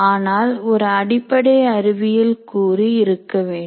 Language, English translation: Tamil, But there is a basic science component